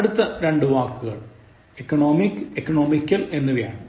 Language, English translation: Malayalam, The next pair is between, economic and economical